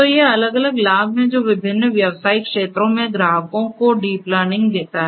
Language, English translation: Hindi, So, these are the different benefits that deep learning gives to the customers in different business segments